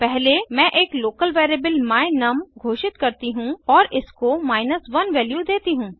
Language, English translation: Hindi, First I declare a local variable my num and assign the value of 1 to it